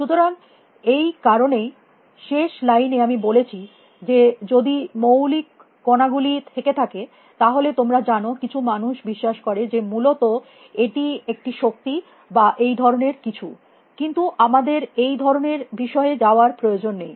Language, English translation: Bengali, So, which is why in the last line I had said that if there are fundamental particles; you know some people believe that it is all energy or something out there essentially, but that let us not get into that kind of a thing